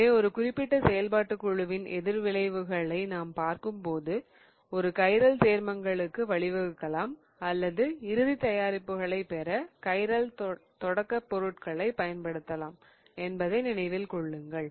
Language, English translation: Tamil, So, when we are really going over the reactions of a particular functional group, remember that we may give rise to chiral compounds or we may use chiral starting materials to get to the final product